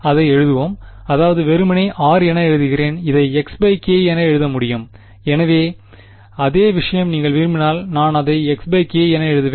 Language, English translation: Tamil, Let just write it I mean let us it write it as r I can write it as x by k, so same thing ok, if you want I will write it as x by k ok